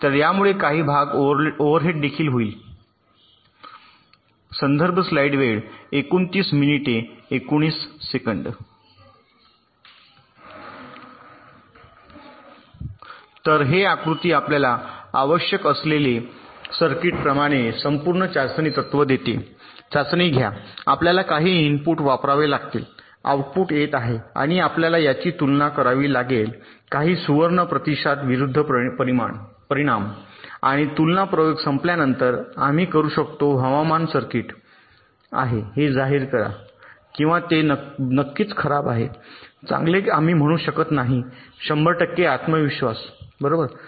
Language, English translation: Marathi, so this diagram gives you the overall testing principle, like, given a circuit which we want to test, we have to apply some inputs, the outputs are coming and we have to compare this outputs again, some golden response, and after this comparison experiment is over, we can declare that the weather is circuit is probably good or it is definitely bad